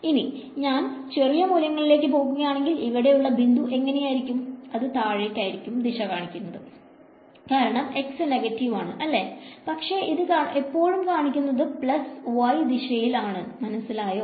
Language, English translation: Malayalam, When I come to very small over here, what about this point over here, which way will it point if it going to point downwards right because x is negative, but it is always going to be pointing in the plus y direction right